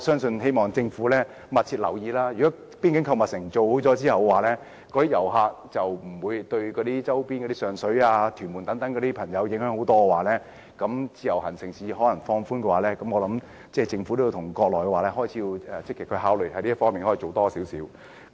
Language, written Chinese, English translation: Cantonese, 我希望政府密切留意，如果邊境購物城建成後，遊客便不會對一些周邊地區，包括上水、屯門等居民造成影響，然後政府便應再考慮放寬自由行，相信政府也可以與國內積極考慮這方面的工作。, I hope that the Government can pay close attention to the situation . After the boundary shopping mall is commissioned the impact of visitors on the livelihood of residents living near the boundary including Sheung Shui and Tuen Mun will be less and the Government can then re - consider relaxing IVS . I believe that the Government can also take this into active consideration with the Mainland authorities